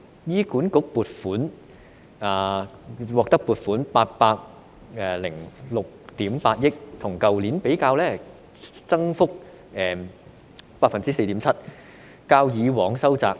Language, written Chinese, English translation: Cantonese, 醫院管理局獲得撥款806億 8,000 萬元，與去年相比增幅是 4.7%， 較以往收窄。, A funding of 80.68 billion has been earmarked for the Hospital Authority HA representing an increase of 4.7 % which is smaller compared to last year